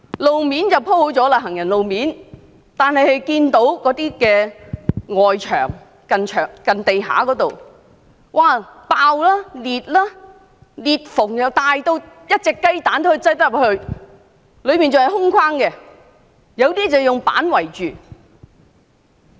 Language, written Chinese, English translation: Cantonese, 我看到行人路面雖已鋪妥，但接近地面的外牆仍然爆裂，裂縫大得可放入雞蛋，中間還要是空心的，有些則以板子圍起。, I saw that while the pavement had been properly paved the wall where it was jointed to the ground remained cracked open with clefts wide enough to fit an egg in them . It was even hollow inside with hoardings erected around some of them